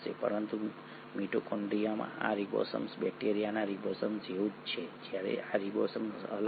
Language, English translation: Gujarati, But this ribosome in mitochondria is similar to the ribosome of bacteria while this ribosome is different